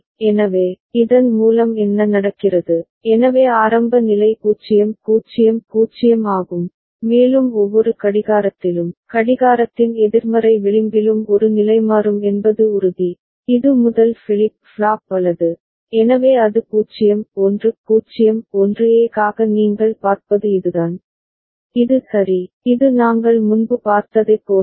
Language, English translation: Tamil, So, by this what happens, so initial state is 0 0 0, and A will toggle in every clocking, negative edge of the clock that is for sure, this is the first flip flop right, so that is 0 1 0 1 that is what you see for A, which is ok, which is similar to what we had seen before